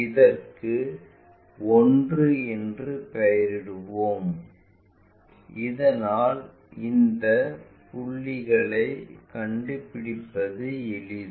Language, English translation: Tamil, Let us name this one also 1 so that it is easy for us to locate these points